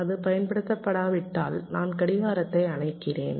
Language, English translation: Tamil, if it is not been used, i switch off the clock